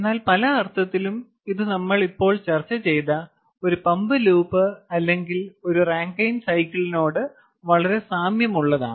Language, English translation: Malayalam, in a sense, this is very similar to a pumped loop or or a rankine cycle, which we just discussed